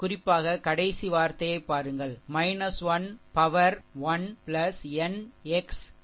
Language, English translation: Tamil, Particularly look at the last term, minus 1 to the power 1 plus n into a 1 n into M 1 n